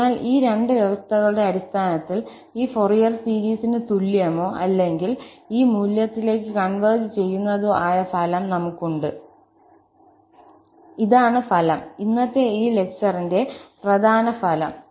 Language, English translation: Malayalam, So, under these two conditions, we have the result that this Fourier series will be equal to or it will converge to this value, this is the result, the main result of this lecture today